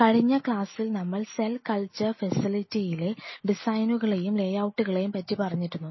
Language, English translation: Malayalam, Week last lecture if you recollect we talked about or started talking about the design or the layout of the cell cultural facility